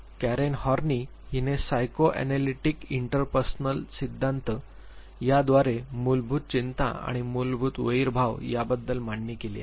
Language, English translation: Marathi, Karen Horney is now proposition is called the psychoanalytic interpersonal theory she talked about basic anxiety and basic hostility